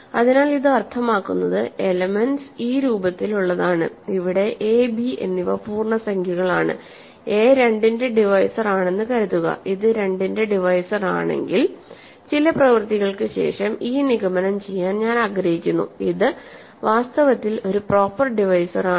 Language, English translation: Malayalam, So, this is the ring that means, elements are of this form, where a and b are integers, is a divisor of, suppose this is a divisor of 2, if this is a divisor of 2 we would like to conclude after some work that it, it is in fact, a proper divisor